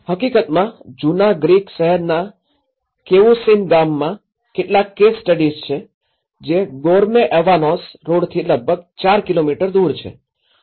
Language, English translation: Gujarati, In fact, there are some of the case studies in Cavusin village in the old Greek town which is about 4 kilometres from the Goreme Avanos road